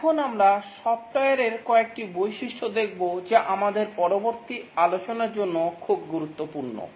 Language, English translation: Bengali, Now let's look at some characteristics of software that are very important to our subsequent discussions